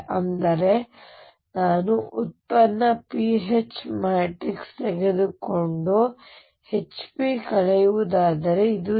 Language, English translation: Kannada, So that means, if I take the product pH matrix and subtract hp this would be 0 right